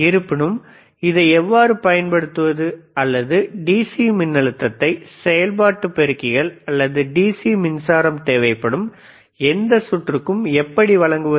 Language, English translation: Tamil, hHowever, how to you how to actually not is how to use this or how to apply this DC voltage to the operational amplifiers, or to any any circuit which requires the DC power supply